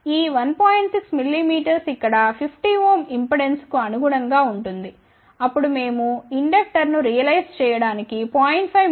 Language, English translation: Telugu, 6 mm corresponds to 50 ohm impedance over here, then we have chosen 0